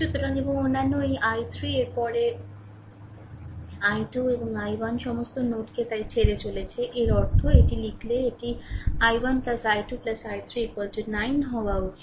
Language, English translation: Bengali, So, and other this i 3 then i 2 and i 1 all are leaving the node so; that means, hm it if you write it should be i 1 plus i 2 plus i 3 is equal to 9 right